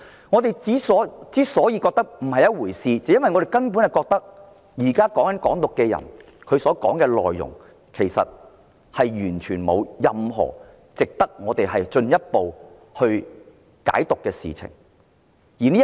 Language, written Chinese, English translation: Cantonese, 我們認為，"港獨"分子的言論並非甚麼一回事，因為他們的言論其實完全沒有任何值得進一步解讀的地方。, In our opinion remarks made by Hong Kong independence advocates are not a cause of concern as they are not worthy of any further interpretation